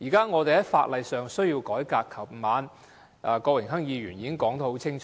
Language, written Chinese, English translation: Cantonese, 我們現時需要改革法例，而郭榮鏗議員昨晚已說得很清楚。, We now need to reform the laws and Mr Dennis KWOK already made this very clear last night